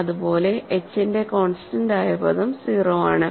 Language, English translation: Malayalam, Similarly, the constant term of h is 0